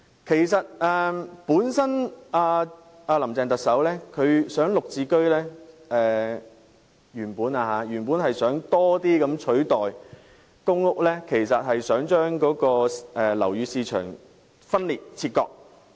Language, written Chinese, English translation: Cantonese, 其實特首"林鄭"原本考慮在更大程度上以"綠置居"取代公屋，目的是把樓宇市場分裂和切割。, In fact Chief Executive Carrie LAMs original intention was replacing PRH with GSH to a greater extent so as to clearly segregate the property market